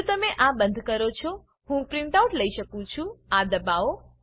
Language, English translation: Gujarati, If you close this, I can take a printout ,press this